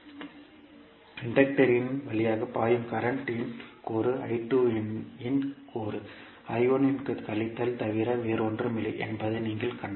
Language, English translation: Tamil, So, if you see that the component of current flowing through the inductor the component of I2 will be nothing but equal to minus of I1